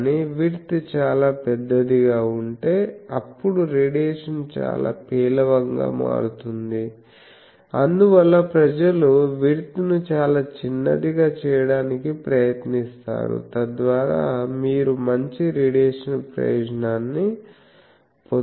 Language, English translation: Telugu, But, if the width is quite large, then the radiation becomes quite poor, so that is why people try to make the width quite small, so that you get the benefit of good radiation